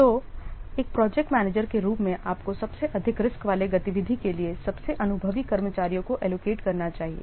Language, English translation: Hindi, So, as a project manager, you should allocate more experienced personnel to those critical activities